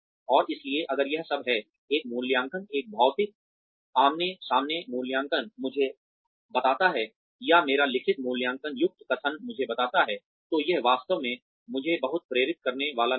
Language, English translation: Hindi, And so, if that is all, that an appraisal, a physical face to face appraisal tells me, or a written statement containing my appraisal tells me, then that is not really going to motivate me very much